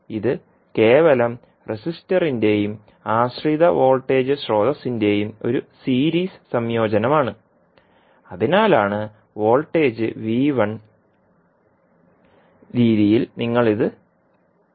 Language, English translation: Malayalam, So this is simply a series combination of the resistor and the dependent voltage source that is why you define it in terms of voltage V1